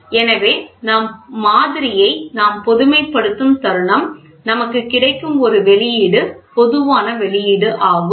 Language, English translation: Tamil, So, moment we generalize model what we get an output is generic output